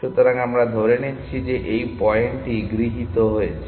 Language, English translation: Bengali, So, i will take it that this point has been accepted